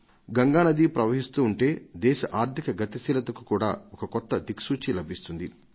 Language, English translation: Telugu, The flow of Ganga adds momentum to the economic pace of the country